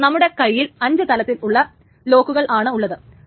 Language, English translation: Malayalam, Using this now, we have five locks in our hand